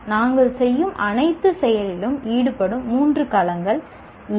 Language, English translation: Tamil, These are the three domains that are involved in any activity that we perform